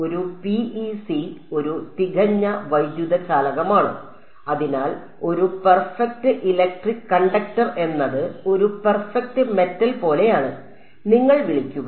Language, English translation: Malayalam, A PEC is a perfect electric conductor; so a perfect electric conductor is one which I mean colloquially you will call like a perfect metal